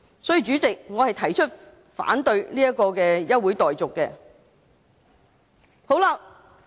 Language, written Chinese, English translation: Cantonese, 所以，主席，我反對休會待續議案。, Therefore Chairman I oppose the adjournment motion